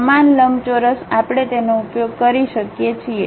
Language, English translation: Gujarati, The same rectangle we can use it